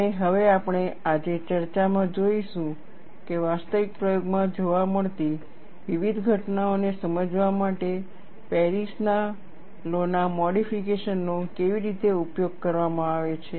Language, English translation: Gujarati, And now, we will see in the discussion today, how modifications of Paris law are utilized to explain various phenomena observed in actual experimentation